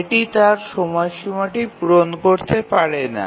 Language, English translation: Bengali, It cannot meet its deadline